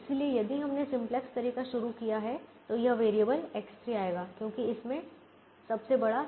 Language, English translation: Hindi, so if we started the simplex way, then this variable x three will come in because this has the largest c j minus z j